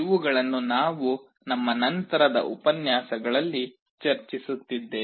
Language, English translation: Kannada, These we shall be discussing in our subsequent lectures